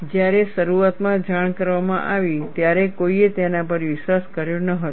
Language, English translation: Gujarati, When initially reported, nobody believed it